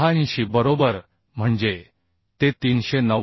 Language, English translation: Marathi, 86 right So that means it will be 390